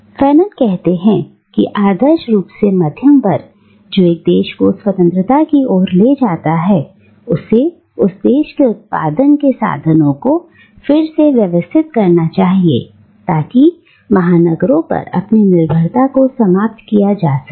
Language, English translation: Hindi, Now, Fanon states that ideally the middle class, which leads a country to independence, should re organise the means of production of that country, so as to end its dependence on the metropolis